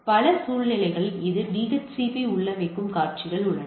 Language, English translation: Tamil, So, there are scenarios where in several situations where it is DHCP configure